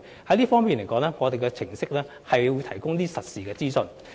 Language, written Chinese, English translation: Cantonese, 在這方面，我們的程式會提供實時資訊。, In this regard our applications will provide real - time information